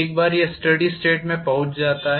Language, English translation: Hindi, Once it reaches steady state